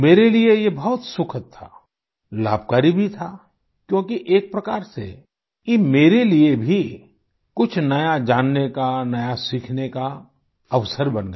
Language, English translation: Hindi, It was a very useful and pleasant experience for me, because in a way it became an opportunity for me to know and learn something new